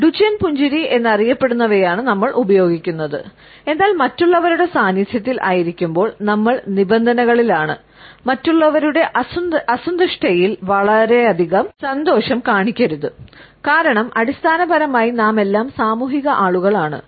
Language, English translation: Malayalam, We would be using what is known as the Duchenne smile, the Duchenne loves, but when we are in the presence of others then we have been conditioned, not to show too much of happiness in the unhappiness of other people, because basically we are all social people